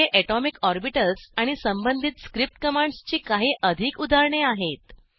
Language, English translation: Marathi, Here are few more examples of atomic orbitals and the corresponding script commands